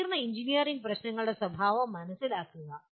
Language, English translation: Malayalam, Understand the nature of complex engineering problems